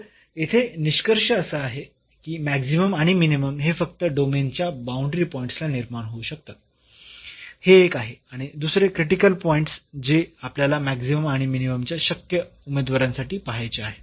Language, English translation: Marathi, So, the conclusion here that maximum and minimum can occur only at the boundary points of the domain; that is a one and the second the critical points which we have to look for the possible candidates for maximum and minimum